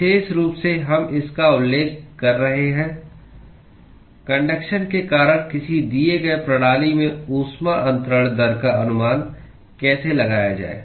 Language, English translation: Hindi, In particular, we are referring to how to estimate the heat transfer rate in a given system, due to conduction